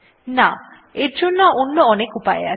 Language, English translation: Bengali, No, there are a number of solutions